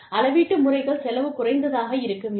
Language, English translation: Tamil, The measurements methods should be, cost effective